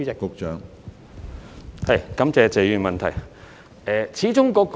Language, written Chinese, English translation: Cantonese, 感謝謝議員的補充質詢。, I thank Mr TSE for his supplementary question